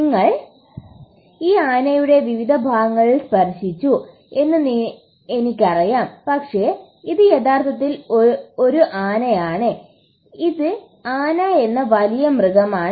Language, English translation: Malayalam, I know you guys have been touching different parts of this elephant but it’s actually an elephant, it’s an big animal called an elephant